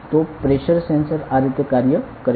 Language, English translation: Gujarati, So, this is how a pressure sensor works